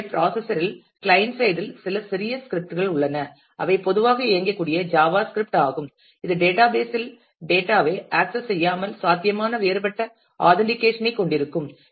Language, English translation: Tamil, So, in the client side in the browser there are some small script that can run a most typically it is a Java script which can too different authentication which is possible without actually accessing the data in the database